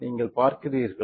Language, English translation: Tamil, You see it